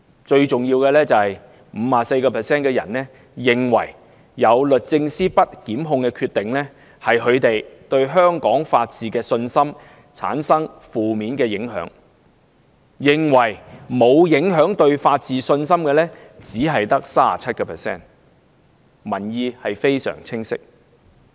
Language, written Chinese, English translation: Cantonese, 最重要的是，有 54% 受訪者認為，律政司不檢控的決定，令他們對香港法治的信心產生負面影響，認為對法治信心沒有影響的只有 37%。, Most importantly about 54 % of the interviewed believe the non - prosecution decision has negatively impacted their confidence in Hong Kongs rule of law while only 37 % say there is no such impact